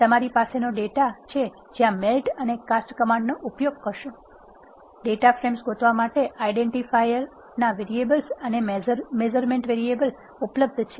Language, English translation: Gujarati, This is the data from you have when you want to use melt and cast command to recast, the data frame you need to identify what are called identifier variables and measurement variables of your data frame